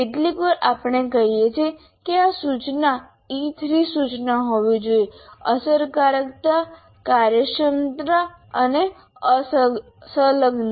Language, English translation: Gujarati, So sometimes we call this instruction should be E3, E3 instruction, effectiveness, efficiency and engaging